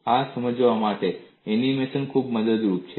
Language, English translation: Gujarati, The animation is very helpful to understand this